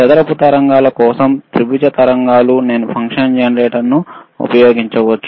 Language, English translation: Telugu, sFor square waves, triangle waves I can use the function generator